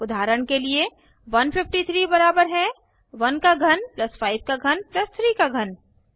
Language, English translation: Hindi, For example, 153 is equal to 1 cube plus 5 cube plus 3 cube